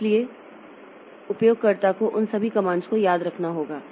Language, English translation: Hindi, So, user has to remember all those comments